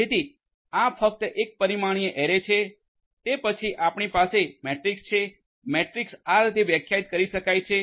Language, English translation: Gujarati, So, this is just a one dimensional; one dimensional array and then you have matrices matrix can be defined in this manner